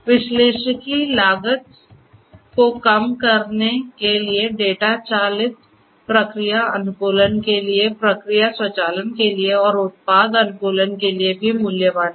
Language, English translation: Hindi, Analytics is also valuable for reducing the cost, for data driven process optimization, for process automation and for product optimization